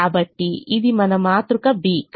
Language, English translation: Telugu, so this is your matrix b